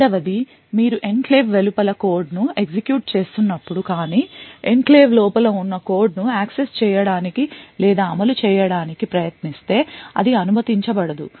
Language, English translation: Telugu, The second is when you are executing code outside the enclave but try to access or execute code which is present inside the enclave so this should not be permitted